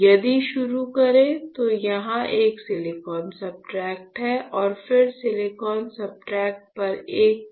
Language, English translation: Hindi, So, if you start with, there is a silicon substrate here and then you have a PDMS coated on the silicon substrate